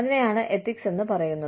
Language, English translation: Malayalam, And, that is called ethics